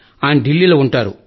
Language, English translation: Telugu, He stays in Delhi